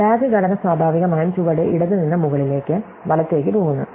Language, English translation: Malayalam, So, the DAG structure goes naturally from the bottom left to the top, right